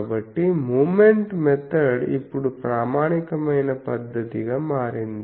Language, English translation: Telugu, And so moment method has now become an authentic method